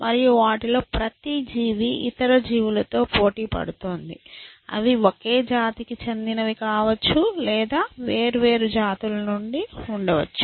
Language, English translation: Telugu, And each of them is competing with other creatures, they may be from the same species or they may be from the different species